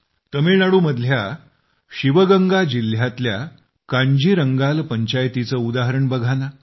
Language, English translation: Marathi, Now look at our Kanjirangal Panchayat of Sivaganga district in Tamil Nadu